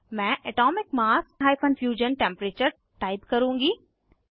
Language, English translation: Hindi, I will type Atomic mass – Fusion Temperature